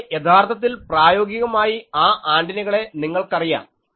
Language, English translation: Malayalam, But, actually the practically those antennas the you know